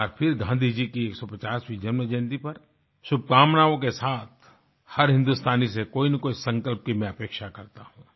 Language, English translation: Hindi, Once again, along with greetings on Gandhiji's 150th birth anniversary, I express my expectations from every Indian, of one resolve or the other